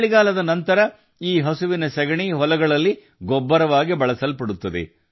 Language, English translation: Kannada, After winters, this cow dung is used as manure in the fields